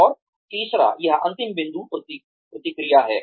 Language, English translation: Hindi, And, the third, the last point here is, feedback